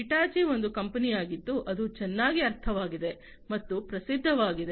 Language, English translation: Kannada, Hitachi is a company that is well understood and well known